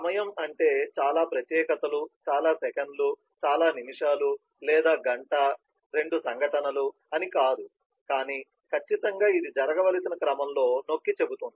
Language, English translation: Telugu, that is time may not mean that so much specifics, so many seconds, so many minutes or hour has to elapse between two happenings, two events, but certainly it emphasises in the order in which things should happen